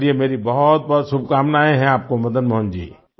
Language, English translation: Hindi, Fine, my best wishes to you Madan Mohan ji